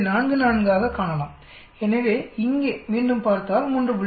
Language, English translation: Tamil, 44 so again if you look here 3